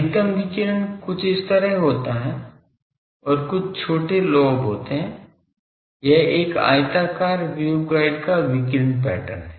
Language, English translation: Hindi, The maximum radiation takes place something like this and there are some small lobes, this is the radiation pattern of a rectangular waveguide